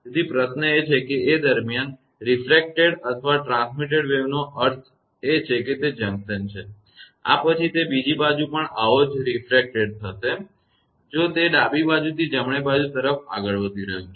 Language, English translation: Gujarati, So, question is that since refracted or transmitted wave I mean because it is junction, after this it will be refracted to other side also; if it is moving from this the left side to right hand side